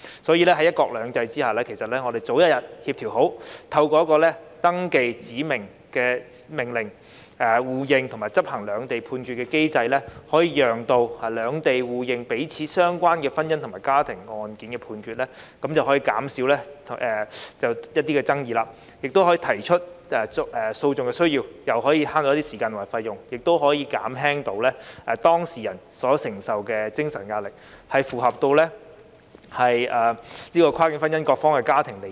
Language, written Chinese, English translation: Cantonese, 所以，在"一國兩制"下，如果我們早日協調好，透過一個登記指明命令、互認及執行兩地判決的機制，便可讓兩地互認彼此有關婚姻及家庭案件的判決，亦可減少就同一項爭議再提出訴訟的需要，既節省時間及費用，也可減輕當事人承受的精神壓力，保障跨境婚姻各方及家庭的利益。, Under the one country two systems principle if we have better coordination as early as possible through a mechanism for registration of specified orders as well as for reciprocal recognition and enforcement of Hong Kong and Mainland judgments it will facilitate the reciprocal recognition of judgments of the two places in matrimonial and family cases and reduce the need for re - litigation of the same disputes and hence save time and cost and reduce the emotional distress of the concerned parties thereby protecting the interests of both parties and their families in cross - boundary marriages